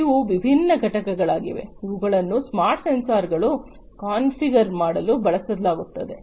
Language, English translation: Kannada, These are the different components, which will be used to configure the smart sensors